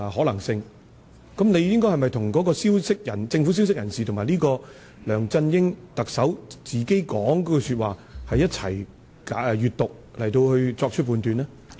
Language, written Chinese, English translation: Cantonese, 你是否應該一併閱讀那位政府消息人士及梁振英特首所說的話來作出判斷呢？, Do you agree that you should make your judgment based on the words said by both the government source and LEUNG Chun - ying?